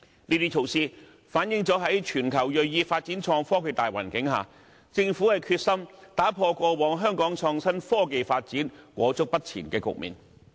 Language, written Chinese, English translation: Cantonese, 這些措施反映了在全球銳意發展創新科技的大環境下，政府決心打破過往香港創新科技發展裹足不前的局面。, Such initiatives reflect the Governments resolve to break away from the previous stagnation of the development of innovation and technology in Hong Kong given the general climate of pursuing such development around the world